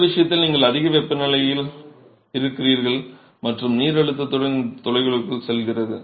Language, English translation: Tamil, In this case you are under high temperatures and pressure water is going into these pores